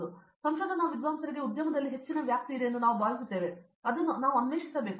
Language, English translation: Kannada, So, I feel that there is high scope for research scholars out there in the industry and we should explore it that